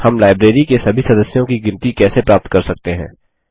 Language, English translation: Hindi, How can we get a count of all the members in the library